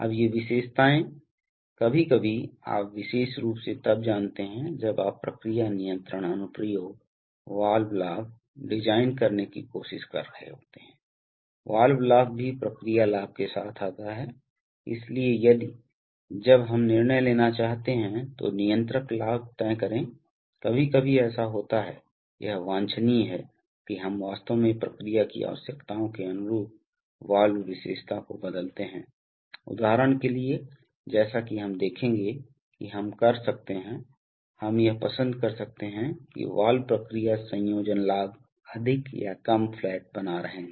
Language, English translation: Hindi, Now these characteristics, sometimes, you know especially when you are trying to design process control application, the valves gain, the valve gain also comes along with the process gain, so if, so when we want to decide the, decide the controller gain then sometimes it is, it is desirable that we change the valve characteristic to actually suit the requirements of the process, for example as we shall see that, we can, we may like to have that the valve process combination gain remains more or less flat over the operating period, this may be a requirement for designing a good controller